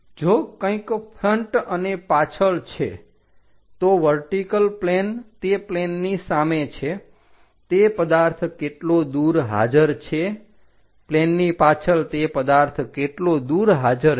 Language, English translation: Gujarati, If something like in front and behind, there is a vertical plane in front of that plane how far that objective is present, behind the plane how far that objective is present